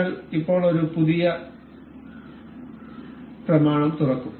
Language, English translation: Malayalam, We now will open up new document